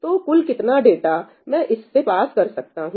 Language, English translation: Hindi, So, what is the total amount of data I can pass through this